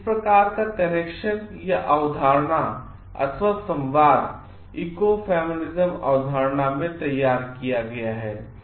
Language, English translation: Hindi, So, this type of connection is drawn in ecofeminism concept